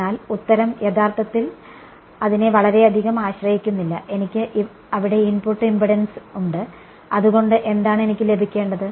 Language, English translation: Malayalam, But the answer should not really depend too much on that, I there is input impedance and that should that is what I should get